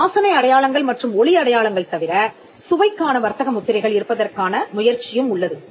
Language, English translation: Tamil, So, apart from the smell marks and the sound marks, there is also an attempt to have trademarks for taste